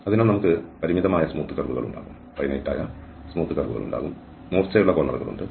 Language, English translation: Malayalam, So, we can have a finite number of smooth curves and there are sharp corners